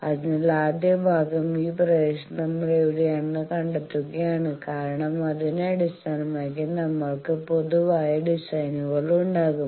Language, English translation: Malayalam, So, the first part is we will have to find out where we are in this region because based on that we will be having the generic designs